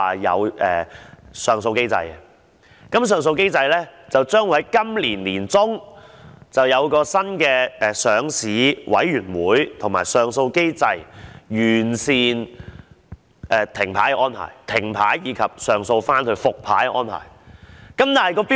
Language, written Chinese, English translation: Cantonese, 就上訴機制而言，當局表示將會在今年年中訂出一個新的上市委員會及上訴機制，以完善停牌的安排，以及上訴後復牌的安排。, As to the appeal mechanism the authorities indicated that a new listing committee would be established and a new appeal mechanism would be put in place by the middle of this year in order to improve the arrangements for the suspension and resumption of stock trading after an appeal